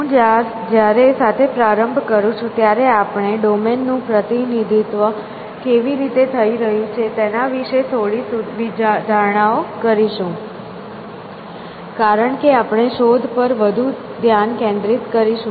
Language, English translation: Gujarati, So, I to when we begin with, we will just make some ad hoc assumptions has to how the domain is going to be represented, because we will be focusing more on search